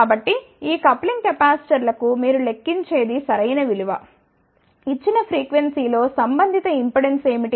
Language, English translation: Telugu, So, the right value for these coupling capacitors would be that you calculate, what is the corresponding impedance at a given frequency